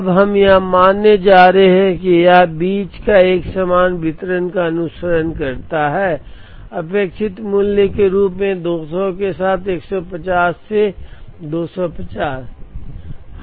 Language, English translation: Hindi, Now, we are going to assume that it follows a uniform distribution between; 150 to 250 with 200 as the expected value